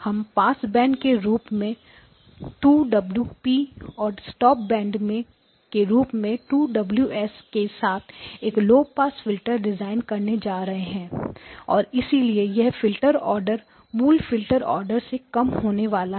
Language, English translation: Hindi, I am going to design a low pass filter with two times Omega P as the passband; 2 times Omega S as the stopband and so this filter order is going to be less than the original filter order